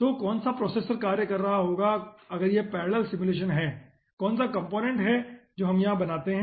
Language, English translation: Hindi, so which processor, if it is parallel simulation, which processor will be doing, which component that will create over hereinitial conditions